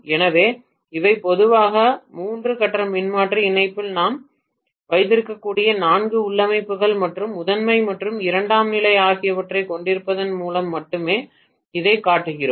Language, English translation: Tamil, So these are the four configurations normally we can have in the three phase transformer connection and I am showing this only by having primary and secondary